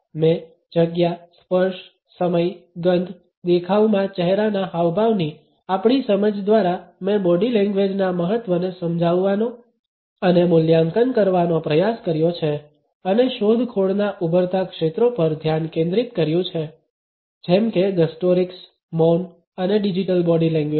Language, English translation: Gujarati, I have also try to explain and evaluate the significance of body language vis a vis our sense of space, touch, time, smell, facial expressions in appearances and also focused on the emerging areas of explorations namely gustorics, silence and digital body language